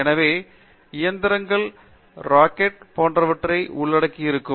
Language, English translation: Tamil, So, engines would also include things like rockets and so on